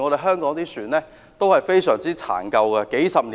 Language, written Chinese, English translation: Cantonese, 香港的船都是非常殘舊，經歷了數十年。, The vessels of Hong Kong are dilapidated as they have been used for several decades